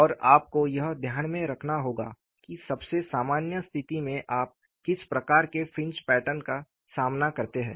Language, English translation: Hindi, And, you have to keep in mind, the kind of fringe patterns that you come across in the most general situation